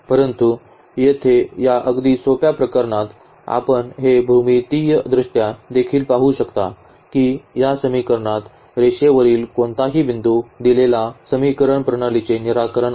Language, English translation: Marathi, So, that we will deal little later all those cases, but here for this very simple case we can see this geometrically also that now, in this case any point on the line is the solution of the given system of equations